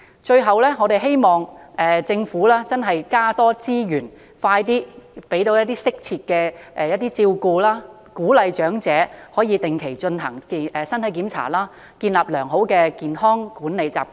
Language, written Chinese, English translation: Cantonese, 最後，我們希望政府能增加資源，提供適切照顧，鼓勵長者定期進行身體檢查，建立良好的管理健康習慣。, Finally we hope the Government can increase the provision of resources provide appropriate care encourage old people to receive regular physical checks and form a healthy habit of personal health management